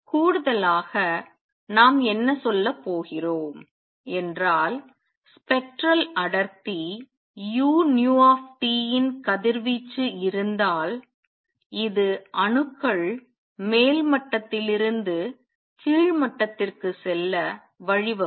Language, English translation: Tamil, What we are also going to say in addition there is a possibility that if there is a radiation of spectral density u nu T this will also make atoms jump from upper level to lower level